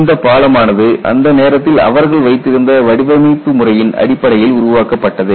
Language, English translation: Tamil, People built it based on what were the design methodologies that they had at that point in time